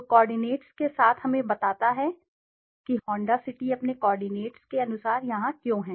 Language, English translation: Hindi, So with the coordinates tells us why Honda City is here as per its coordinates